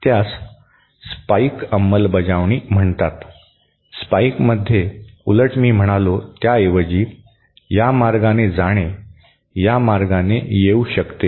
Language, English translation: Marathi, That is called the spike implementation, in the spike, by opposite I mean instead of this going this way, it can come this way